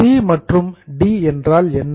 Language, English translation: Tamil, What is C and D